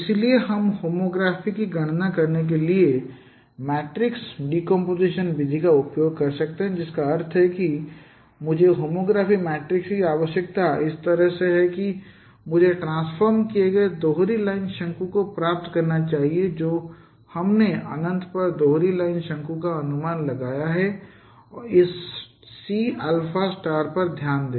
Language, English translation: Hindi, So we can use matrix decomposition method to compute the homography which means I need the homography matrix in such a way that I should get the transformed, you know, low dual line conic what we have estimated dual line connect at infinity and note here the C infinity star is the is the dual line conic at infinity and which is given by this particular matrix